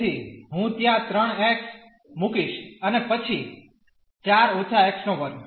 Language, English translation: Gujarati, So, I will put 3 x there and then 4 minus x square